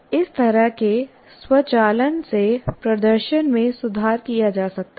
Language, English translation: Hindi, Actually, such automation of the performance can be improved